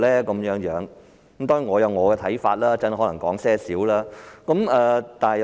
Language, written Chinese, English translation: Cantonese, 當然，我有我的看法，稍後可能稍為說說。, I certainly have my own views and will perhaps say something about them later